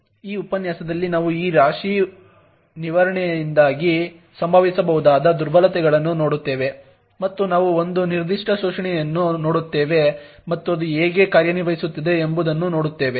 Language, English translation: Kannada, In this lecture we will look at vulnerabilities that may occur due to this heap management and we will also see one particular exploit and look at how it works